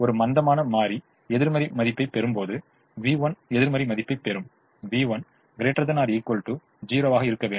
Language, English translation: Tamil, when a slack variable takes a negative value, v one takes a negative value, v has to be greater than or equal to zero